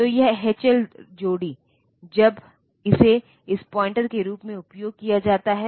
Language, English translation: Hindi, So, this H L pair, when it is used as this a pointer